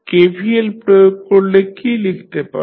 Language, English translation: Bengali, If you apply KVL what you can write